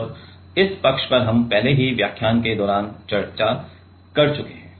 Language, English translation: Hindi, And this side we have already discussed during the lecture videos